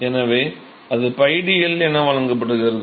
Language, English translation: Tamil, So, that is given by pi d L right